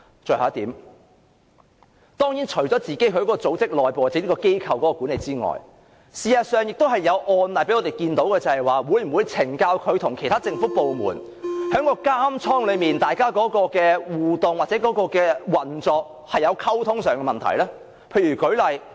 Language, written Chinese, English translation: Cantonese, 最後一點，除了整個組織內部或機構管理外，事實上，亦有案例讓我們看到，懲教署會否與其他政府部門在監倉內的互動或運作出現溝通上的問題呢？, Lastly apart from the overall problems relating to internal or institutional management there are cases indicating problems in communication between CSD and other departments in connection with prison operation